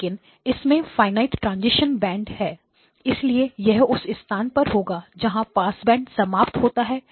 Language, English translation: Hindi, But it has got a finite transition bands, so the transition band also has got where the passband ends